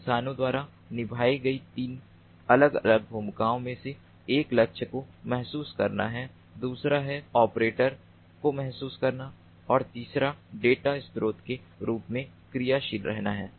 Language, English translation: Hindi, there are three distinct roles played by humans: one is the sensing of the targets, second is the sensing of the operators and third is the acting as a data source